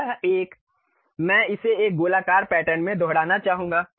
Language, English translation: Hindi, This one I would like to repeat it in a circular pattern